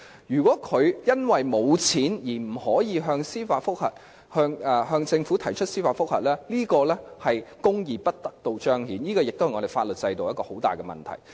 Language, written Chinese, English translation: Cantonese, 如果市民因為無錢而不能向政府提出司法覆核，這是公義得不到彰顯，也是我們法律制度上的大問題。, If members of the public cannot seek a judicial review against the Government because of a lack of means that would amount to justice denied and that would be a major problem in our legal system